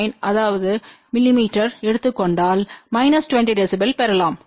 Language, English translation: Tamil, 9 something mm then you can get minus 20 db